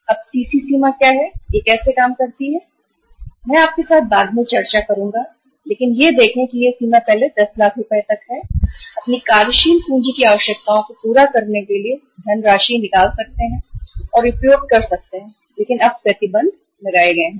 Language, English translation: Hindi, Now what is CC limit, how it works, I will discuss with you later on but see this is the limit that up to earlier up to 10 lakh rupees somebody can withdraw and use the funds for fulfilling their working capital requirements but now the restrictions are imposed